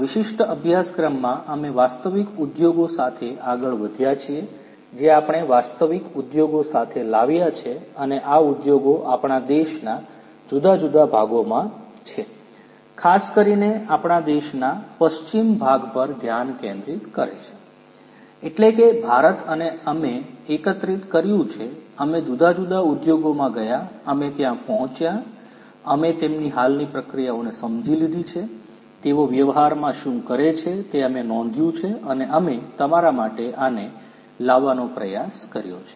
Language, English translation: Gujarati, In this particular course we have gone out to the real industries we have connected with real industries and these industries are in different parts of our country, particularly focusing on the western part of our country; that means, India and we have collected, we have gone to the different industries, we have reached out, we have understood their existing processes, we have recorded what they have what they do in practice and we have tried to bring these up for you